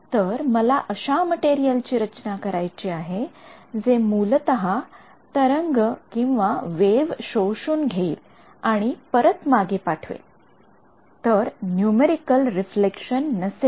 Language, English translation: Marathi, So, I have to design this material which basically absorbs the wave and again it send it back so, no numerical reflection ok